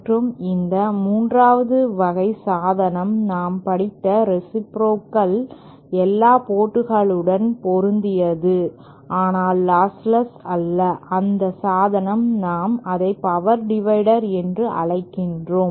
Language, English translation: Tamil, And the 3rd device that we studied was reciprocal, matched at all ports but not lossless, and that device we call it as power dividers